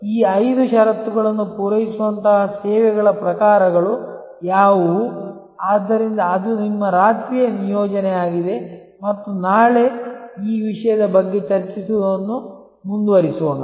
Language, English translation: Kannada, That what are the kinds of services, which satisfy these five conditions, so that is your overnight assignment and let us continue to discuss this topic tomorrow